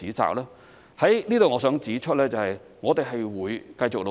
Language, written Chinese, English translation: Cantonese, 我在此希望指出，我們會繼續努力。, I would like to point out here that we will continue to work hard